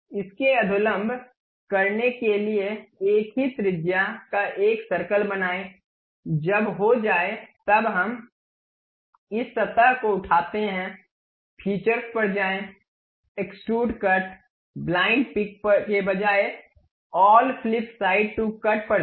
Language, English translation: Hindi, For this normal to it, draw a circle of same radius, once done we pick this surface, go to features, extrude cut, instead of blind pick through all flip side to cut